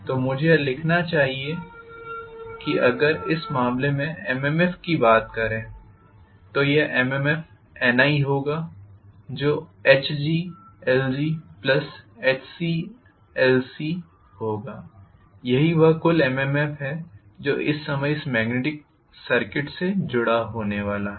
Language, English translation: Hindi, So I should be able to write that, if I try to look at the MMF in this case this MMF will be N times i which will be H g l g plus H c l c, this is what is the total MMF that is going to be associated with this magnetic circuit at this point in time, right